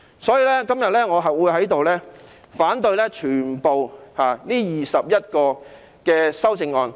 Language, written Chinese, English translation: Cantonese, 所以，我今天會反對全部21項修正案。, As such I will oppose all the 21 amendments today